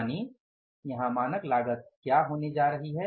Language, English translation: Hindi, So, it means what is going to be the standard cost here